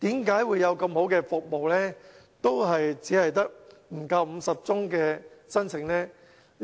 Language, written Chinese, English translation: Cantonese, 為何有如此好的服務，仍只得不足50宗申請呢？, Why were there only less than 50 applications for such a good service?